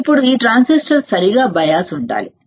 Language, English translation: Telugu, Now this transistor should be biased properly biased correctly, right